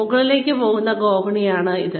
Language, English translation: Malayalam, This is a staircase going upwards